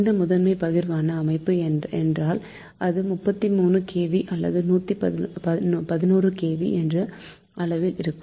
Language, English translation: Tamil, so primary distribution system means it will be thirty three kv or eleven kv